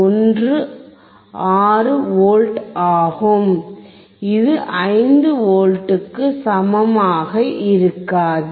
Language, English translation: Tamil, 16 which is not equal to 5 V